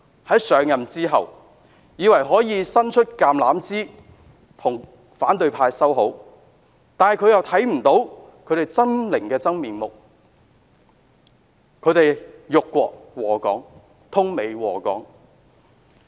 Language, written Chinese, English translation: Cantonese, 她在上任後，以為可以伸出橄欖枝與反對派修好，但她卻看不到他們的真面目是何等的猙獰，他們幹的是辱國禍港、通美禍港的勾當。, Upon taking office she thought she could hold out an olive branch to the opposition camp to make peace but she simply failed to realize how sinister they are in reality―they engage in business meant to humiliate our country and subject Hong Kong to disasters by collusion with the United States that merely brings home nothing but disasters